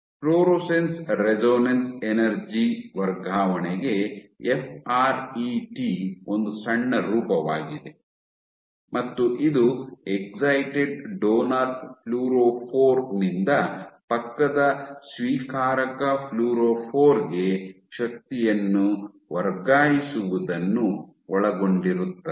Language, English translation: Kannada, FRET is short form for Fluorescence Resonance Energy Transfer and this involves the transfer of energy from an excited donor fluorophore to an adjacent acceptor fluorophore